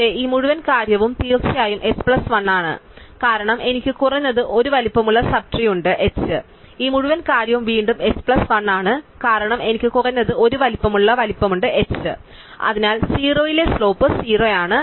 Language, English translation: Malayalam, But, this whole thing is definitely h plus 1 because I do have at least 1 sub tree of size h, this whole thing is again h plus 1, because I have at least 1 sub tree of size h and therefore, the slope at 0 at z is 0